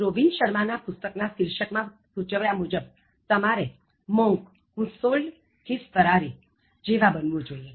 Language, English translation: Gujarati, As suggested in the book title of Robin Sharma, you should be like the “Monk who sold his Ferrari” what does it mean